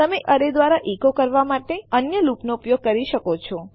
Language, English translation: Gujarati, You can use other loops to echo through an array